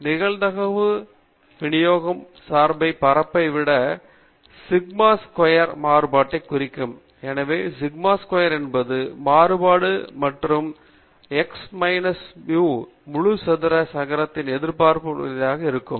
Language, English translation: Tamil, To quantify the spread of the probability distribution function, we have sigma squared representing the variance; so sigma squared is the variance and that is defined as expected value of the X minus mu whole squared okay